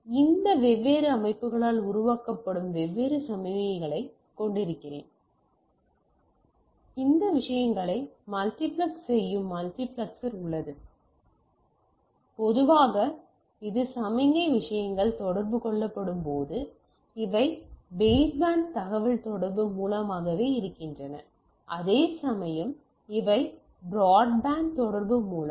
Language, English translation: Tamil, Now so I have different signals which are generated by this different systems and then we have a multiplexer which multiplex this things and usually this when the signal things are communicated these are through baseband communication whereas, these are through broadband communication